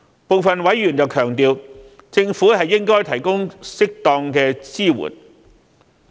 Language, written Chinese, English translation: Cantonese, 部分委員強調，政府應該提供適當支援。, Some members emphasize that the Government should provide appropriate support